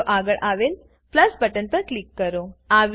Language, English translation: Gujarati, Click on the plus button next to Video